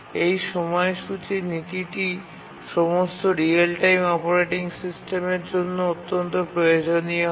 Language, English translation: Bengali, And this scheduling policy is the central requirement for all real time operating systems that we had seen